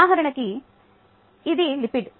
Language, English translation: Telugu, for example, this is a lipid